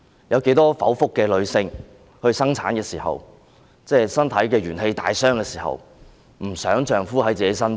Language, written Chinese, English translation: Cantonese, 有多少經歷剖腹生產、身體元氣大傷的女性不希望丈夫伴在身邊？, How many women who have given birth by caesarean section and are physically weak would not wish to have their husbands at their side?